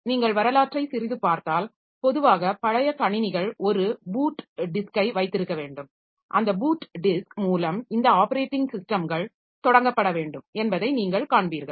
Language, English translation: Tamil, So, this is another issue like if you look into a bit of history then you will see that normally the old computers they had to have a boot disk and through that boot disk this operating systems has to start